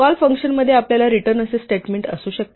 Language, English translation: Marathi, Within a function we might have a statement like this called return